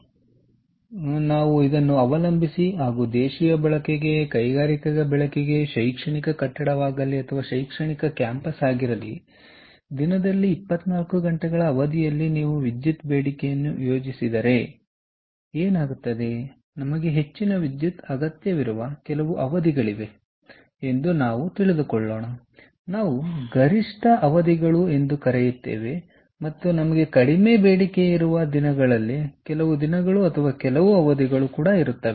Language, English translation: Kannada, so, depending on where we are, whether it is domestic use, whether its industrial use, ah, whether its an educational building, an academic campus, what happens is, if you plot the electricity demand over a period of twenty four hours in a day, we will see that there are certain periods where we need more electricity, which we will call the peak periods, and there will be certain days or certain periods during the day when we will have less demand